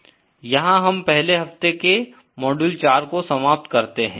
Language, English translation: Hindi, That brings us to an end to the module 4 of week 1